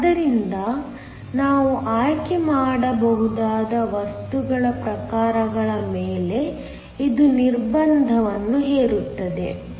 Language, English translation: Kannada, So, this imposes a restriction on the types of materials that we can choose